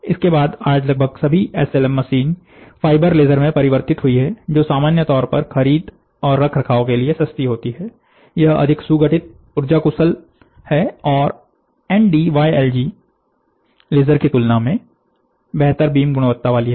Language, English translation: Hindi, Subsequently, almost all SLM machines today have transitioned to fibre laser, which in general are cheaper to purchase and maintain more compact, energy efficient and have better beam quality than Nd:YAG lasers